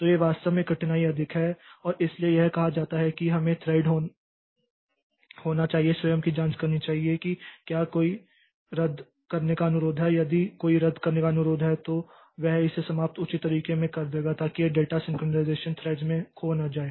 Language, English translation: Hindi, So, there actually the difficulty is more and that is why it is said that we should be the thread should be checking itself that whether there is any cancellation request is there and if there is any cancellation request then it will terminate it in a proper fashion so that this data synchronization is not lost across threads